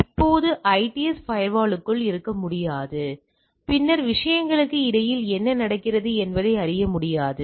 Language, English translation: Tamil, Now, IDS cannot be inside firewall right then it cannot know that what is going on inter the things right